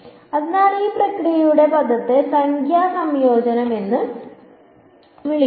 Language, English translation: Malayalam, So, the word for this process is called numerical convergence